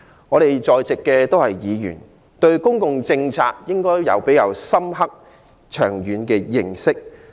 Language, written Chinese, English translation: Cantonese, 我們在座的議員，應該對公共政策有比較深刻長遠的認識。, Members who are present here should have a more in - depth and far - reaching understanding of public policy